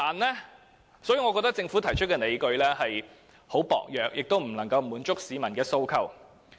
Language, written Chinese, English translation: Cantonese, 因此，我認為政府提出的理據十分薄弱，亦未能夠滿足市民的訴求。, Hence I think the justification put forward by the Government cannot hold water and the demands of the public cannot be met